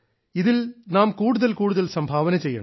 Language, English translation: Malayalam, We have to contribute our maximum in this